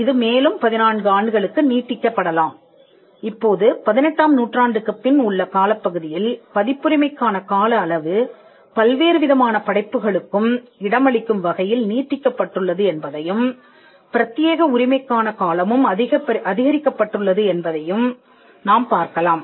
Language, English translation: Tamil, Now, you will also see that over the period of time since the 18th century the copyright term has extended to accommodate different kinds of works and it has also expanded increasing the term of the exclusivity